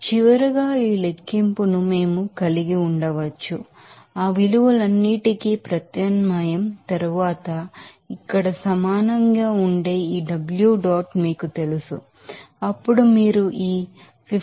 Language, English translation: Telugu, So, finally, we can have this calculation of this you know this W s dot that will be is equal to here after substitution of all those values, then you can get this here like this 52